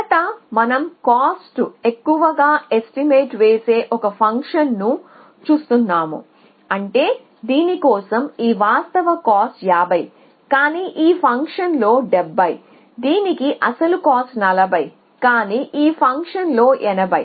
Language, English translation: Telugu, So, first we are looking at a function which over overestimates the costs which means that this actual cost for this is 50, but this function thing it is 70, actual cost for this is 40, but this function thing it is 80